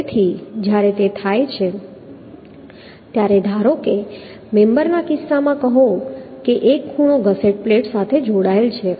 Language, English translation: Gujarati, So when it has it occurs, say suppose in case of a member, say a angle is connected to a gusset plate